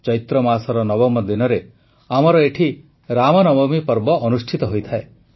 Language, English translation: Odia, On the ninth day of the month of Chaitra, we have the festival of Ram Navami